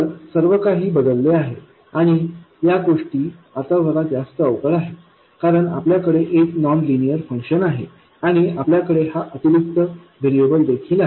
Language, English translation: Marathi, So, everything changes and these things are now a little more cumbersome because you have a nonlinear function and you also have this additional variable